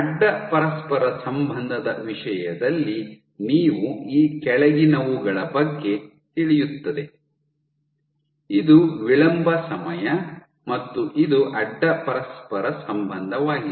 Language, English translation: Kannada, So, in terms of cross correlation you have the following this is lag time and this is cross correlation